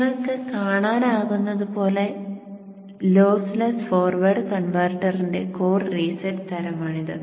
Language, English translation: Malayalam, So as you can see this is the lossless core reset type of forward converter